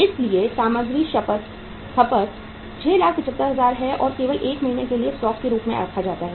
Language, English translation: Hindi, So material consumed is that is 6,75,000 and is only kept as a stock for 1 month